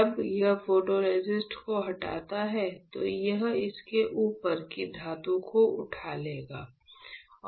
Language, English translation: Hindi, When it strips the photoresist, it will lift off the metal above it